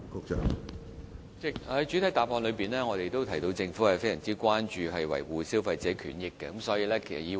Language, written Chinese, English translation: Cantonese, 主席，正如我在主體答覆中提到，政府非常關注維護消費者權益。, President as I have said in the main reply the Government attaches great importance to protecting the rights and interests of consumers